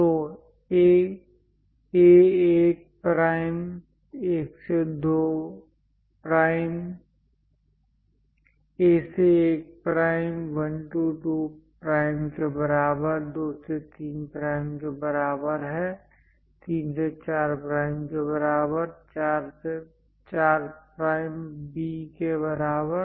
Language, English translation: Hindi, So, A 1 prime equal to 1 2 prime; is equal to 2 3 prime; equal to 3 4 prime; equal to 4 prime B